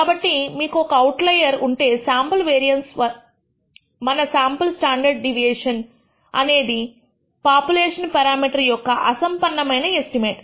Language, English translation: Telugu, So, if you have a single outlier, the sample variance, our sample standard deviation can become very poor estimate of the population parameter